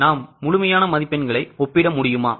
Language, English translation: Tamil, Can you compare their absolute marks